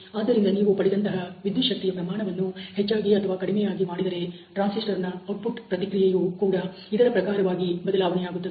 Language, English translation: Kannada, So, if you increase or decrease the gain voltage, the output response of the transistor is also going to be change accordingly